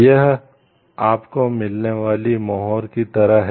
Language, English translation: Hindi, It is like a stamp that you get